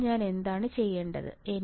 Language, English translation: Malayalam, Now, what I had to do